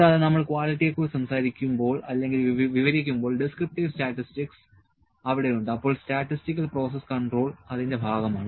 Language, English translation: Malayalam, And when we talk about the quality the describing the data descriptive statistics is there, then statistical process control is part of that